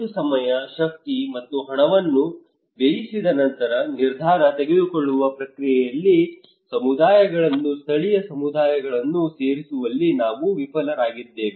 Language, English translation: Kannada, Why after spending so much of time, energy and money, we fail to incorporate communities local communities into the decision making process